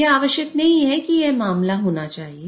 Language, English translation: Hindi, It's not necessary that it should be the case